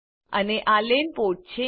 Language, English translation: Gujarati, And this is a LAN port